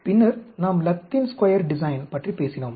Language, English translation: Tamil, Then, we talked about Latin Square Design